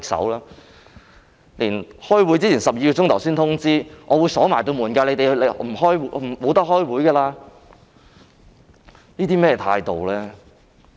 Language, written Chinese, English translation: Cantonese, 這次在開會前12小時才通知會議場地會鎖門，不能開會，這是甚麼態度呢？, This time the relevant DC was informed 12 hours before the meeting that the meeting venue would be locked and no meeting could be held . What kind of attitude is this?